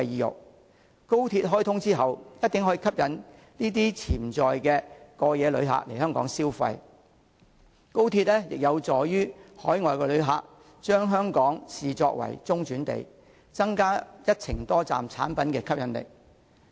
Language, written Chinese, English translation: Cantonese, 日後當高鐵開通後，一定可以吸引這群潛在過夜旅客來港消費，高鐵亦有助海外旅客將香港視作中轉地，增加一程多站產品的吸引力。, After XRL is commissioned in the future this group of potential overnight visitors will surely be attracted to visit Hong Kong for consumption . XRL will also enable overseas visitors to use Hong Kong as a transit point thus increasing the attractiveness of multi - destination tourism products